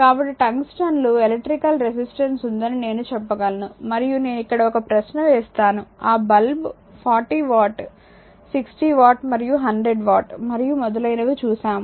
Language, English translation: Telugu, So; that means, we can say the tungsten has an electrical resistance right and I will put a question here that we have seen that your that bulb 40 watt, 60 watt, and 100 watt and so on